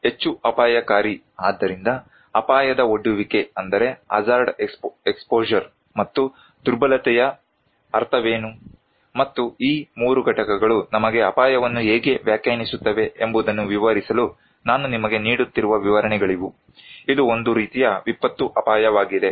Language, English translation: Kannada, more risky so, these illustrations I am giving you just to explain that what is the meaning of hazard exposure and vulnerability and how these 3 components define risk in our case, it is kind of disaster risk